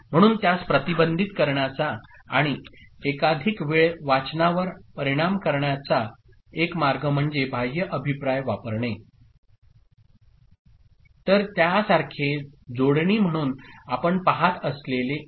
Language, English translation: Marathi, So, one way to prevent that and effect multiple time reading is to use an external feedback ok; so, the one that you see as a connection like this ok